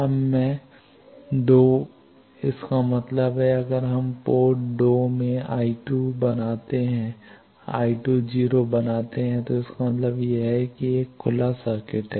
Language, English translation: Hindi, Now, I two; that means, if we make in the port 2 I 2 is equal to 0 means it is an open circuit